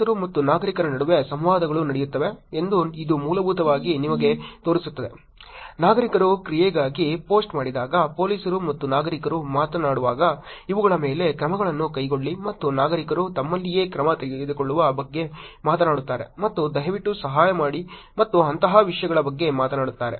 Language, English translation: Kannada, It is basically showing you that the interactions happens between police and citizens, when citizens posts for action, police and citizens are talking about, take actions on these and citizens among themselves are also talking about take action and please help and things like that